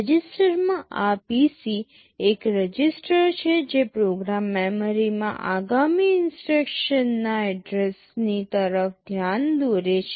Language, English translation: Gujarati, Among the registers this PC is one register which will be pointing to the address of the next instruction in the program memory